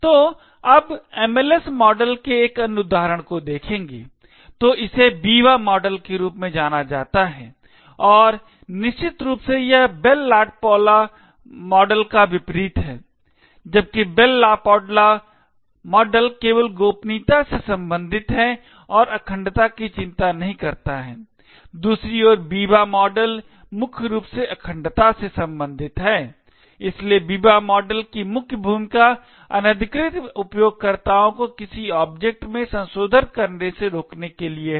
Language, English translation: Hindi, now so this is known as the Biba model and essentially it is the Bell LaPadula model upside down, while the Bell LaPadula model is only concerned with confidentiality and is not bothered about integrity, the Biba model on the other hand is mainly concerned with integrity, so the main role of the Biba model is to prevent unauthorized users from making modifications to an object